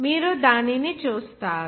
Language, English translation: Telugu, You will see that